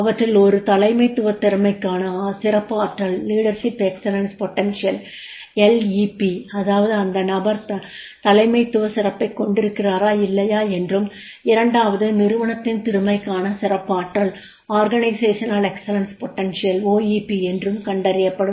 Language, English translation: Tamil, One is leadership excellence potential, LEP, that is the whether the person is having the leadership excellence or not